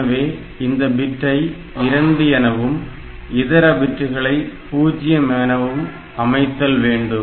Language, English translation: Tamil, So, this bit should be 2 for the mask and rest of the bits should be 0